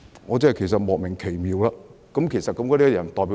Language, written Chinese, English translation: Cantonese, 我對此感到莫名奇妙，其實那些人代表誰呢？, I really felt quite puzzled about this . Whom do these people represent actually?